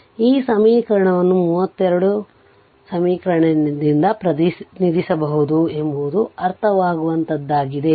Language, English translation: Kannada, So, it is understandable right this this this equation can be represented by equation 32 right